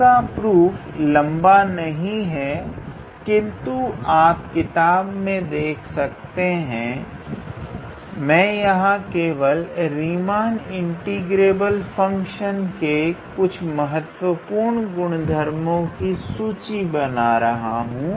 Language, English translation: Hindi, The proof is a little bit how to say well it is not long it is just that for the proof you can look into any book here I am just how to say listing some of the important properties of Riemann integrable functions